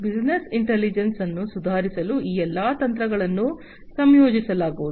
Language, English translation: Kannada, All these techniques will be incorporated to improve upon the business intelligence